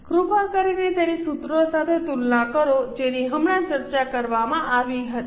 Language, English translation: Gujarati, Please compare it with the formulas which were discussed just now